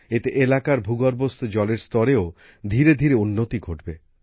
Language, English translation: Bengali, This will gradually improve the ground water level in the area